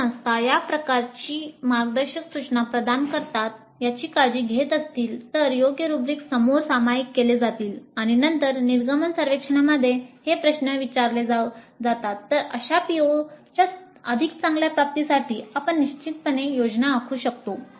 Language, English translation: Marathi, So, if the institutes take care to ensure that these kind of guidelines are provided, appropriate rubrics are shared up front and then these questions are asked in the exit survey, then we can definitely plan for better attainment of such POs